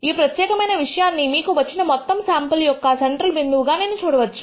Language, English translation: Telugu, This particular thing as I said can be viewed as a central point of the entire sample that you have got